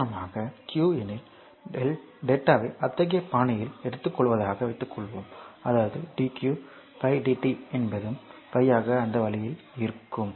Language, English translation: Tamil, Suppose if q for example, a suppose you take the data in such a fashion such that the dq is 5 dt is also 5 so, that way